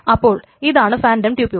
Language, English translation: Malayalam, So, this is a phantom tuple